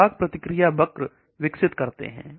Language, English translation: Hindi, So we develop something called dose response curve